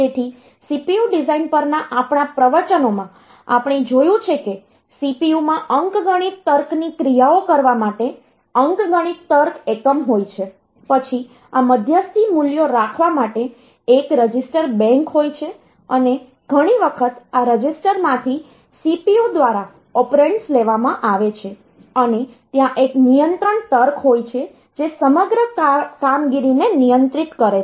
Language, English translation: Gujarati, So, in our lectures on CPU design, we have seen that a CPU consists of essentially one arithmetic logic unit for doing the arithmetic logic operations, then there is a register bank to hold this intermediary values and many a times the operands are taken from these registers by the CPU by the ALU and there is a control logic which controls the overall operation